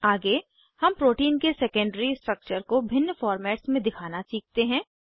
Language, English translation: Hindi, Next, let us learn to display the secondary structure of the protein in various formats